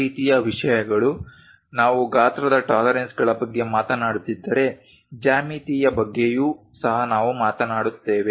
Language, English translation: Kannada, These kind of things if we are talking about those are about size tolerances regarding geometry also we talk about this tolerances